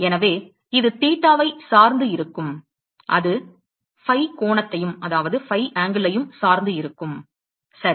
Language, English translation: Tamil, So, it is going to depend on the theta it also going to be dependent on the phi angle, right